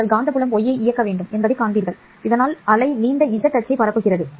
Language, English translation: Tamil, You will find that the magnetic field must be y directed so that the wave is propagating along z axis